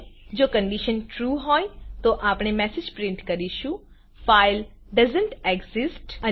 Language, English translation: Gujarati, If the condition is true, then we print the message: File doesnt exist